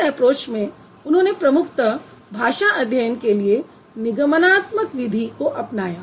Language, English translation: Hindi, And in his approach, he primarily follows the deductive method of language study